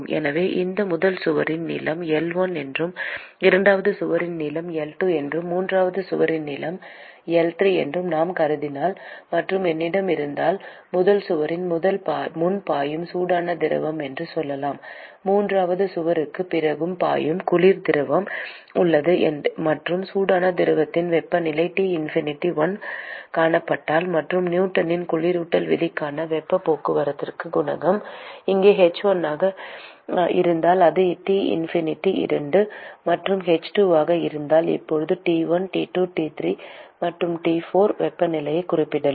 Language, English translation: Tamil, And so if I assume that the length of this first wall is L1, length of the second wall is L2, length of the third wall is L3; and if I have, let us say, hot fluid which is flowing before the first wall; and there is a cold fluid which is flowing after the third wall; and if the temperature of the hot fluid is seen T infinity 1 and if the heat transport coefficient for Newton’s law of cooling is h1 here and if it is T infinity 2 and h2 and I can now specify temperatures T1,T2, T3 and T4